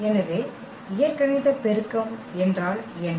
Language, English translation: Tamil, So, what is the algebraic multiplicity